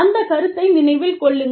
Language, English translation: Tamil, Remember that concept